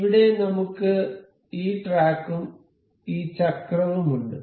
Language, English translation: Malayalam, Here, we have this track and this wheel